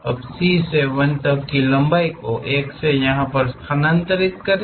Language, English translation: Hindi, Now, transfer 1 to C length from C to 1 here